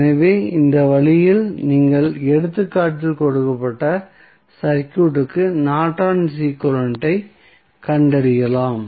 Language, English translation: Tamil, So, in this way you can find out the Norton's equivalent of the circuit which was given in the example